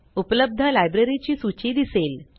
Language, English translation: Marathi, A list of available libraries appears